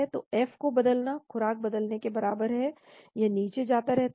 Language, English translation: Hindi, So changing F is equivalent to changing dose, it keeps going down